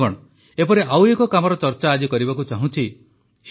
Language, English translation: Odia, Friends, I would like to discuss another such work today